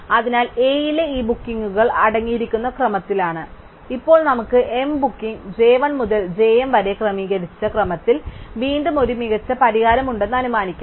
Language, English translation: Malayalam, So, these bookings in A are in sorted order, now let us assume that we have an optimum solution with m bookings j 1 to j m again in sorted order